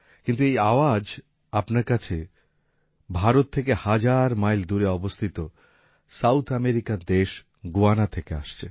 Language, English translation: Bengali, But these notes have reached you from Guyana, a South American country thousands of miles away from India